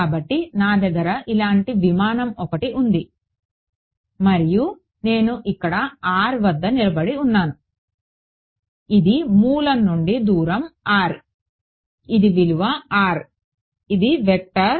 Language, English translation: Telugu, So, let us say that I have a aircraft like this alright and I am standing somewhere far over here r right, this is the distance r from the origin this is the value r this is the vector r hat